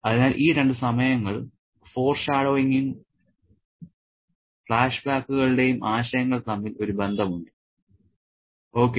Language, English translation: Malayalam, Okay, so there is a connection between these two times and the concepts of foreshadowing and flashbacks